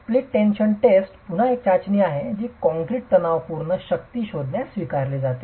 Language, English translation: Marathi, The split tension test again is a test that is adopted in finding out the tensile strength of concrete